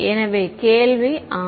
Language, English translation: Tamil, So, the question is yeah